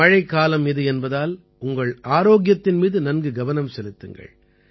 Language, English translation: Tamil, It is the seasons of rains, hence, take good care of your health